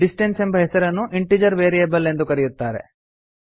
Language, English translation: Kannada, The name distance is called an integer variable